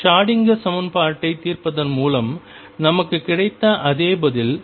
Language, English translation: Tamil, Precisely the same answer as we got by solving Schrödinger equation